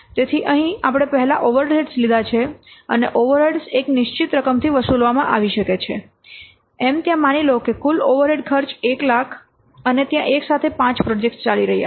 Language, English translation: Gujarati, So here we have taken first the overrides and the over rates may be charged in a fixed amount, say there are total overhead cost is suppose, say, 1 lakh and there are five projects are running simultaneously